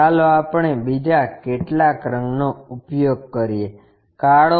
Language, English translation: Gujarati, Let us use some other color, black